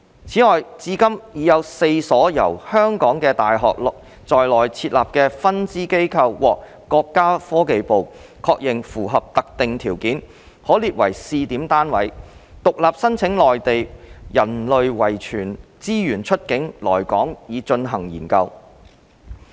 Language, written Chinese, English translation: Cantonese, 此外，至今已有4所由香港的大學在內地設立的分支機構獲國家科技部確認符合特定條件，可列為試點單位，獨立申請內地人類遺傳資源出境來港以進行研究。, Moreover so far four Mainland branches established by local universities have been confirmed by the Ministry of Science and Technology to be meeting specific requirements and will be allowed to lodge applications for exporting Mainland human genetic resources to Hong Kong for research purpose independently under the scheme